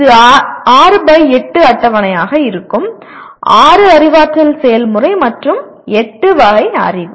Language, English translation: Tamil, It will be 6 by 8 table; 6 cognitive process and 8 categories of knowledge